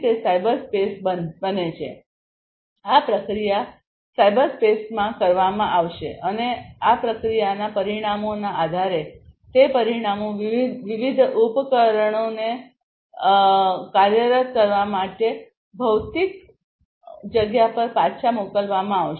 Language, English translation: Gujarati, So, it will be done this processing will be done in the cyberspace and based on the results of this processing those results will be sent back to the physical space for actuating different devices right